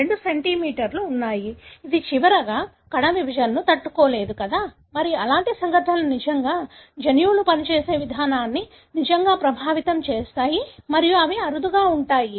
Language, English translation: Telugu, There are two centromeres, this is last cannot survive the cell division, know and such events really, really affect the way the genes function and these are rarity